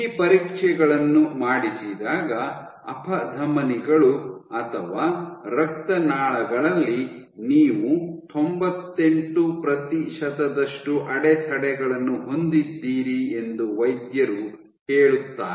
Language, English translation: Kannada, When you do these tests, doctors say that you have 98 percent blockage in arteries or veins so on and so forth